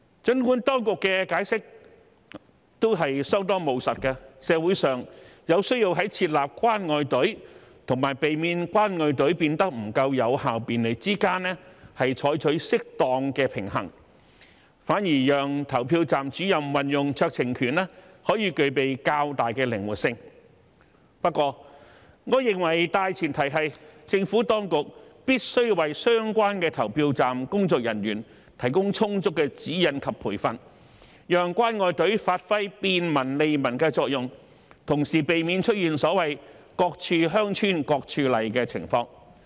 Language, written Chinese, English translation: Cantonese, 儘管當局的解釋相當務實，社會有需要在設立"關愛隊"與避免"關愛隊"變得不夠有效便利之間取得適當的平衡，反而讓投票站主任運用酌情權可具備較大的靈活性；不過，我認為大前提是，政府當局必須為相關的投票站工作人員提供充足的指引及培訓，讓"關愛隊"發揮便民利民的作用，同時避免出現所謂"各處鄉村各處例"的情況。, The explanation given by the authorities is pretty pragmatic in that society needs to strike a proper balance between setting up a caring queue and avoiding it from becoming less effective and convenient while allowing PROs to exercise discretion would provide greater flexibility . Notwithstanding this I think the prerequisite is that the Administration should provide adequate guidelines and training to polling staff to ensure that the caring queue can serve the purpose of facilitating and benefiting the public while at the same time avoiding the problem of different rules being adopted in different places